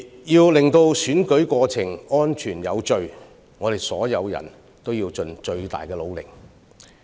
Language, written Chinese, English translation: Cantonese, 要確保選舉過程安全有序，我們所有人必須盡最大努力。, Every one of us must do his utmost in order to bring forth the safe and orderly conduct of the election